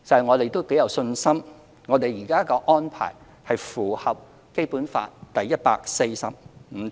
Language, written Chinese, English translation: Cantonese, 我們頗有信心，現時的安排符合《基本法》第一百四十五條。, We are quite confident that the current arrangement is compliant with Article 145 of the Basic Law